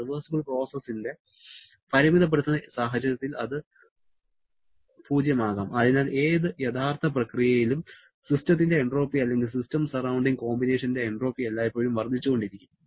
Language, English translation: Malayalam, At the limiting case of a reversible process, it can be 0 and therefore during any real process the entropy of the system or entropy of the system surrounding combination will always keep on increasing